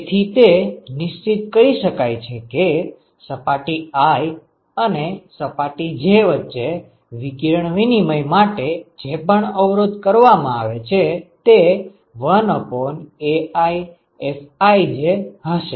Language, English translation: Gujarati, So, one could identify that the resistance that is offered for radiation exchange between surface i and j, would be 1 by AiFij ok